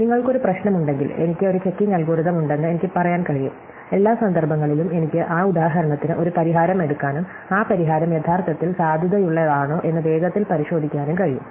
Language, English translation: Malayalam, So, if I have a problem, I can say that I have a checking algorithm, if for every instance I can take a solution to that instance and quickly verify whether or not that solution is actually a valid one